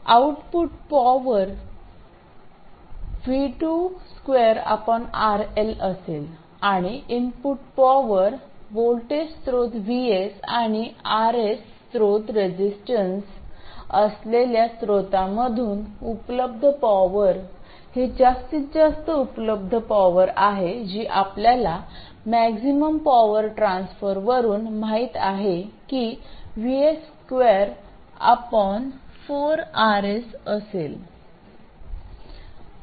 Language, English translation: Marathi, The output power will be V2 square by RL and the input power, the available power from the source which has a source voltage of VS and a source resistance of RS, this is the maximum available power which you know from maximum power transfer is VS square by 4RS